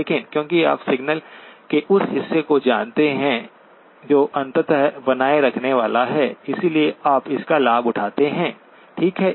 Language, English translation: Hindi, But because you know the portion of signal that is eventually going to be retained, so you take advantage of that, okay